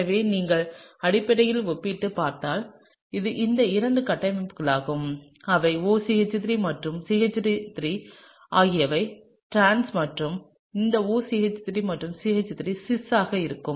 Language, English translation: Tamil, So, this is basically these two structures if you will compare them, they look very similar except that this OCH3 and the CH3 are trans and here this OCH3 and the CH3 are actually cis, okay